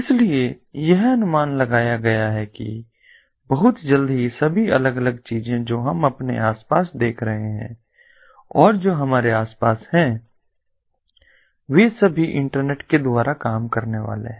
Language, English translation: Hindi, so it has been anticipated that very soon all the different things that are going that we are seeing around us and that we have around us are all going to be internet worked